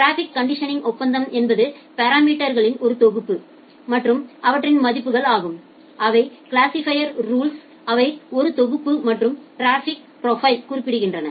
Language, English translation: Tamil, And the traffic conditioning agreement is a set of parameters and their values which together specify a set of classifier rules and traffic profile